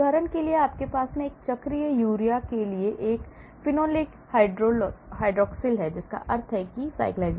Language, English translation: Hindi, For example, you have a phenolic hydroxyl to cyclic urea that means, the cyclisation